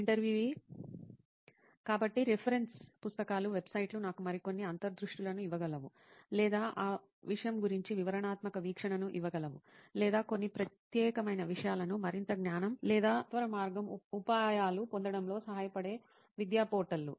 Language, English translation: Telugu, So reference books, websites which could give me some more insights about, or detailed view about that thing, or some portals which are the education portals which helps in gaining more knowledge or shortcut tricks for those particular things